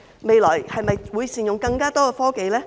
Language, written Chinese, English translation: Cantonese, 未來會否善用更多科技呢？, Will technology be applied more extensively in the future?